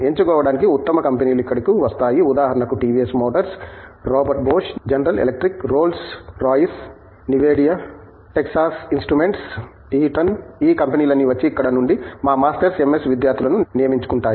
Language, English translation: Telugu, Best companies come here for selecting, for example, companies like TVS motors, Robot Bosch, General electric, Rolls Royce, Nvidia, Texas instruments, Eaton all these companies come and recruit our Masters, MS students from here